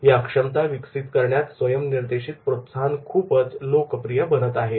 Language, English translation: Marathi, To develop their competency, their self directed motivation is becoming very popular